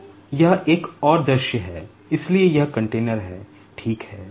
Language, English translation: Hindi, So, this is another view, so this is the container, ok